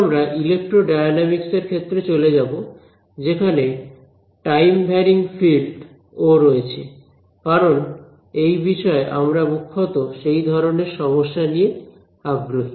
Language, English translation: Bengali, Now, we will begin to move into the area of electrodynamics, where there is a time varying field as well because that is the main kind of problems that we are interested in this course